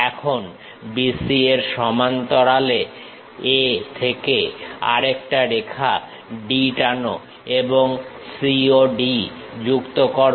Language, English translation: Bengali, Now, parallel to B C from A draw one more line D and connect C and D